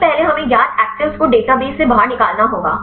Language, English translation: Hindi, First we have to get the known actives from exisiting databases